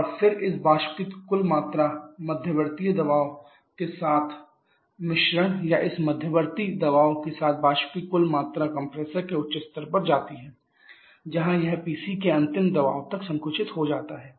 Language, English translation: Hindi, And then the total quantity of mixture with this intermediate pressure total quantity of this vapour with this intermediate pressure goes to the higher level of compressor where it gets compressed up to the final pressure of PC